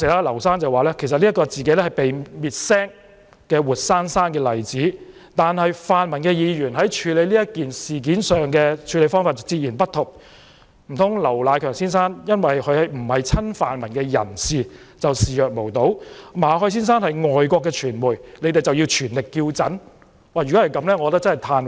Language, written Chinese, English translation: Cantonese, 劉先生當時說自己是被滅聲的活生生例子，但泛民議員處理此事的方法截然不同，難道劉迺強先生不是親泛民人士就視若無睹，馬凱先生是外國傳媒人，他們就要全力叫陣？, Mr LAU then said that he was a vivid example of a media worker being forced to shut up but pan - democratic Members adopted a completely different approach in handling that incident . Is it that they turned a blind eye to Mr LAU Nai - keung because he was not pro - democracy and they fully support Mr MALLET because he is a foreign media worker?